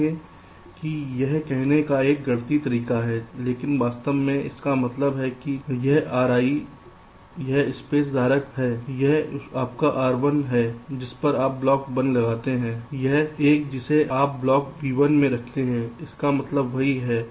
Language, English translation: Hindi, see, this is a mathematical o f saying it, but actually what it means is that this r i is this space holder, this is your r one on which you place block one, one which you place block b one